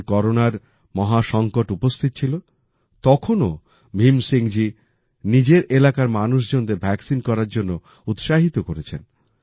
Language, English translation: Bengali, When the terrible Corona crisis was looming large, Bhim Singh ji encouraged the people in his area to get vaccinated